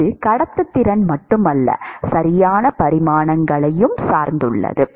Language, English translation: Tamil, It is not just the conductivity it also depends upon the dimensions right